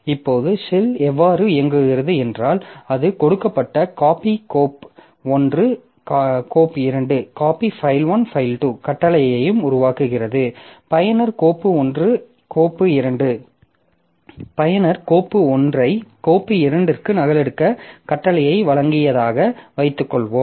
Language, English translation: Tamil, Now how the shell operates is that it create any command that is given, suppose the user has given the command to copy file 1 to file 2